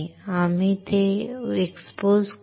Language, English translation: Marathi, We will expose it